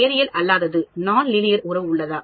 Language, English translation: Tamil, Is there a non linear relation